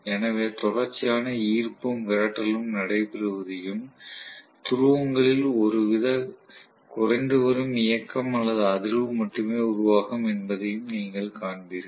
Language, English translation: Tamil, So you would see that continuously there will be attraction and repulsion taking place and that will cost only some kind of dwindling motion or vibration in the poles